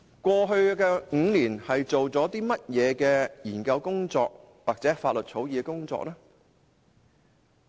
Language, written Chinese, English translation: Cantonese, 過去5年，究竟做了甚麼研究工作或法律草擬工作？, In the past five years what was done for the relevant study or law drafting work?